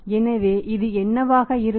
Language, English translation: Tamil, So, what will be this